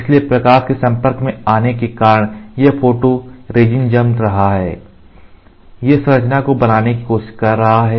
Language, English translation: Hindi, So, because of the light exposure, you get this photo resin on curing it tries to create this structure